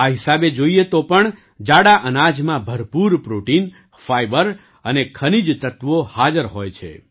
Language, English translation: Gujarati, Even if you look at it this way, millets contain plenty of protein, fiber, and minerals